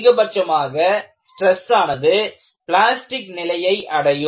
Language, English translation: Tamil, At the most, the stresses can reach the plastic condition